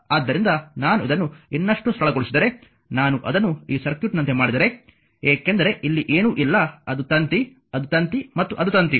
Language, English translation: Kannada, If I make it like this this circuit, because here nothing is there it is ah it is an wire, it is a wire and it is a wire